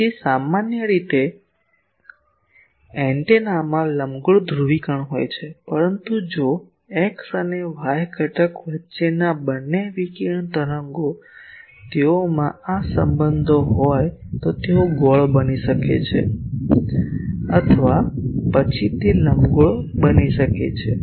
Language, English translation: Gujarati, So, in general the antenna will have elliptical polarisation, but if the two radiated waves the X and Y component they have this relationships then they may become circular or then they become elliptical